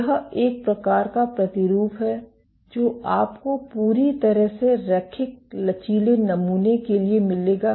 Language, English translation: Hindi, This is the type of sample you would get for a perfectly linear elastic sample